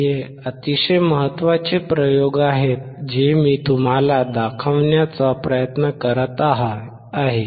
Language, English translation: Marathi, These are very important experiments that I am trying to show it to you